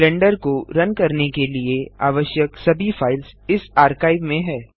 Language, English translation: Hindi, This archive contains all files required to run Blender